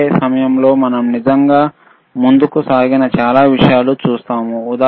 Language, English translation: Telugu, At the the same time, we will see lot of things which are really advanced right